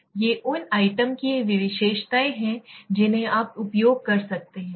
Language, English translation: Hindi, These are the characteristics of the items right that you are using